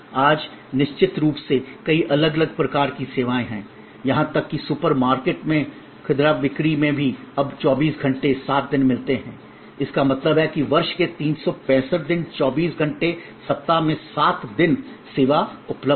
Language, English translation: Hindi, Today of course, there are many different types of services, even in retail merchandising in super market we get 24 by 7 service; that means, 24 hours 7 days a week 365 days the year the service is available